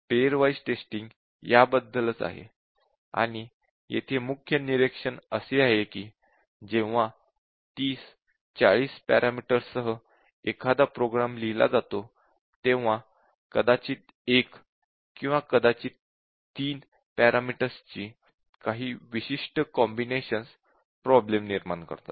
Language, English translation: Marathi, So, that is about the combinatorial testing and the key observation here is that when a program is written with the 30, 40 parameters it is some specific combinations of a pair of parameters or a single parameter or maybe up to 3 parameters that causes the problem